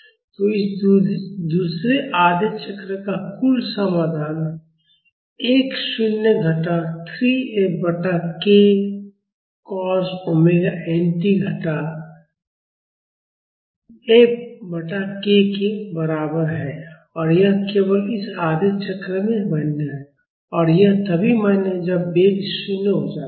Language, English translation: Hindi, So, the total solution for this second half cycle is equal to x naught minus 3 F by k plus cos omega n t minus F by k; and this is valid only in this half cycle, and this is valid only when the velocity becomes 0